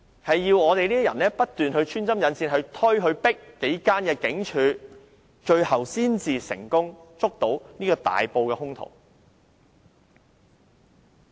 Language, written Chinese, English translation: Cantonese, 唯有我們這種人不斷穿針引線，催迫幾間警署，最後才能成功捉拿這個大埔兇徒。, It was only through the efforts of people like us acting as go - between and pressing those police stations to take action that the suspect of the Tai Po case was apprehended